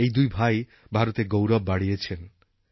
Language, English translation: Bengali, These two brothers have brought pride to the Nation